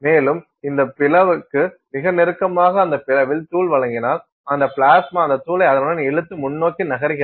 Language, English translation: Tamil, And, if you provide supply of powder at that opening very close to that opening that plasma pulls that powder along with it and moves forward